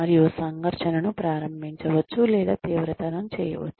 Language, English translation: Telugu, And, can initiate or intensify conflict